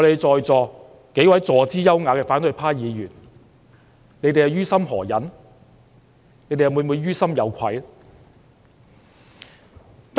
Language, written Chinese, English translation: Cantonese, 在席數位坐姿優雅的反對派議員，你們於心何忍呢？你們會否於心有愧？, Honourable opposition Members sitting gracefully here how can you stand that and do you feel ashamed?